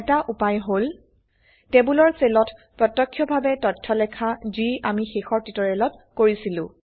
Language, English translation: Assamese, One way is to directly type in data into the cells of the tables, which we did in the last tutorial